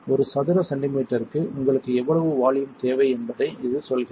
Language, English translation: Tamil, It tells you per square centimetre how much volume you need